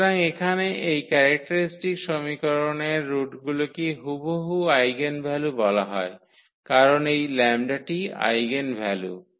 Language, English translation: Bengali, So, here the roots of this characteristic equation are exactly called the eigenvalues because this lambda is the eigenvalue